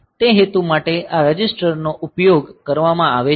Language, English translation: Gujarati, So, for that purpose these registers are used